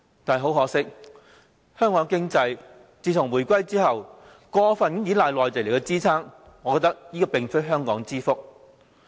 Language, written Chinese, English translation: Cantonese, 但是，很可惜，香港的經濟自從回歸以來，過分依賴內地支撐，這實非香港之福。, However Hong Kongs economy has regrettably displayed an over - reliance on Mainlands support since the reunification and this certainly is not a blessing to us